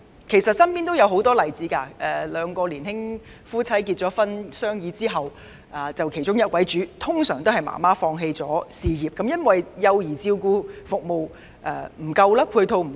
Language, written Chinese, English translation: Cantonese, 其實，我身邊也有很多例子：一對年輕夫妻經商議後，其中一位會放棄事業，以便在家育兒，這是因為本港幼兒照顧服務的配套不足。, In fact I have come across many such examples one party of a young couple who after discussion with the other party will give up whose career in order to raise children at home due to the lack of child care services support in Hong Kong